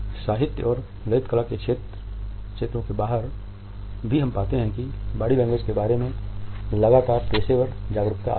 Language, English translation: Hindi, Even outside the domains of literature and fine arts we find that there has been a continuous professional awareness of body language